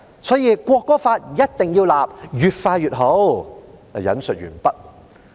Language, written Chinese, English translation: Cantonese, 所以一定要就國歌立法，越快越好。, So legislation must be enacted on the national anthem . The sooner it is enacted the better